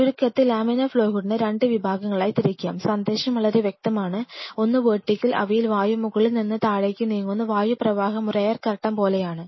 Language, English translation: Malayalam, But in nutshell laminar flow hood could be classified into 2 categories the take home message is very clear, one is the vertical where they air is moving from the top to bottom and the air flow it is exactly like an air curtain